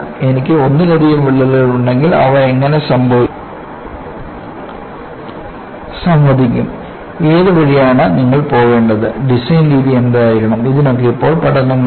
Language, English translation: Malayalam, Now, you have studies, if I have multiple cracks how do they interact, which way you have to go about, what should be the reason for methodology, all those issues are being addressed to research